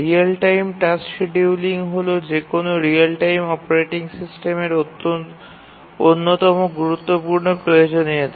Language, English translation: Bengali, Real time task scheduling policy, this is one of the central requirements of any real time operating systems